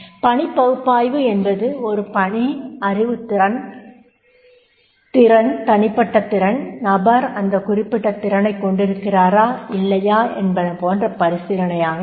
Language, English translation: Tamil, And task analysis will be the work activity that is a task, the knowledge, scale, ability, personal capability, competency, whether the person is having that particular competency or not having that particular competency